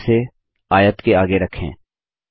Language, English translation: Hindi, Let us draw it and place it next to the rectangle